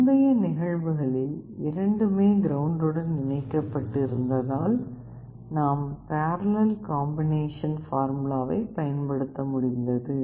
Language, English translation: Tamil, In the earlier cases both were connected to ground, that is why you could use the parallel combination formula